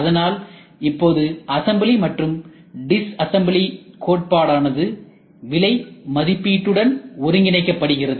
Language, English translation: Tamil, So, now the concept of assembling and disassembling is getting integrated heavily into costing also